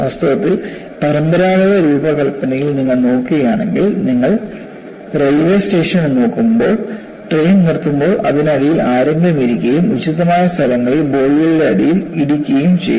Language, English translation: Malayalam, In fact, if you look at, in conventional design also, when you look at railway stations, when the train stops, there would be someone sitting below and then hitting the bottom of the bogies at appropriate places